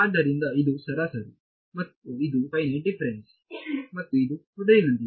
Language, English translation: Kannada, So, this is average and this is finite difference and this is as before